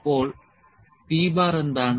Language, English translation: Malayalam, So, what is p bar